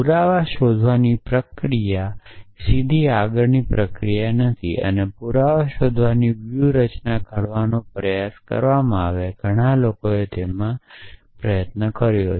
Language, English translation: Gujarati, So, the process of finding proof is not a straight forward process and lot of peoples spent a lot of time trying to devise strategy for finding proofs